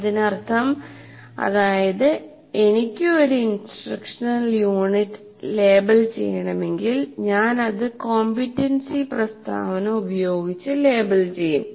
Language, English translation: Malayalam, That means if I want to label an instructional unit, I will label it with the competency statement